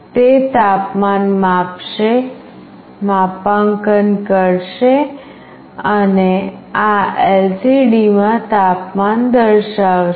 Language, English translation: Gujarati, So, it will sense the temperature, do the calibration and display the temperature in this LCD